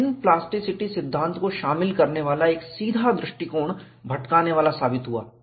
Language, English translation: Hindi, A direct approach, incorporating rigorous plasticity theory has proven elusive